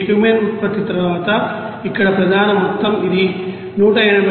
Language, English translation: Telugu, And Cumene after production this is the major amount here this is 180